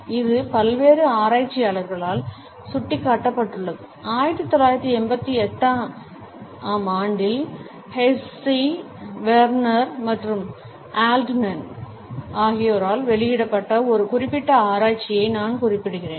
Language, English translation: Tamil, This has been pointed out by various researchers, I would refer to a particular research which was published in 1988 by Hesse, Werner and Altman